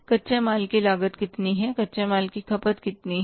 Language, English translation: Hindi, Cost of raw material consumed and how much is the cost of raw material consumed